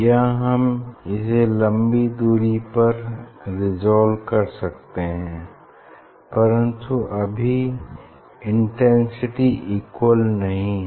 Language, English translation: Hindi, Now, here we can resolve you know for higher distance we can resolve, but the intensity is not equal